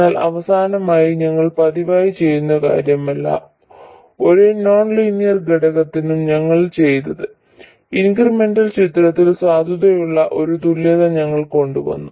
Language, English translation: Malayalam, What we did was for every nonlinear component we came up with an equivalent that is valid in the incremental picture